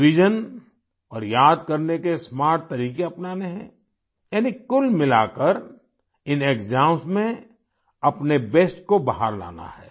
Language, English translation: Hindi, Revision and smart methods of memorization are to be adopted, that is, overall, in these exams, you have to bring out your best